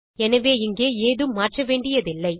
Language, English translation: Tamil, So there is no need to change anything here